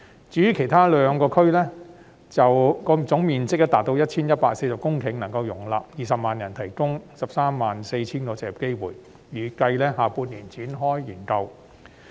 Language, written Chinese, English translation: Cantonese, 至於其餘兩區，總面積達 1,140 公頃，能夠容納20萬人居住，並提供 134,000 個就業機會，預計將於下半年展開研究。, The other two development areas totalling 1 140 hectares could accommodate 200 000 population and provide 134 000 jobs . It is expected that the studies on the two areas will commence in the second half of the year